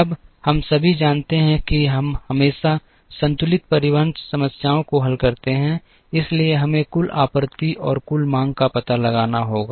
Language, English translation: Hindi, Now, we all know that we always solve balanced transportation problems, therefore we have to find out the total supply and the total demand